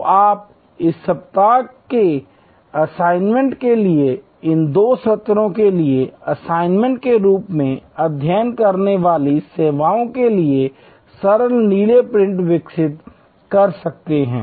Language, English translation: Hindi, So, that you can develop simple blue prints for the services that you will have to study as an assignment for these two sessions, for the assignments of this week